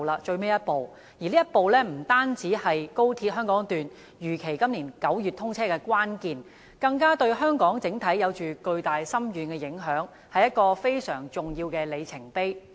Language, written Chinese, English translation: Cantonese, 這一步不單是高鐵香港段如期在今年9月通車的關鍵，對香港整體而言更有着巨大、深遠的影響，是非常重要的里程碑。, Not only is this step crucial to the commissioning of XRL as scheduled in September this year it also marks a very important milestone with colossal and profound implications to Hong Kong as a whole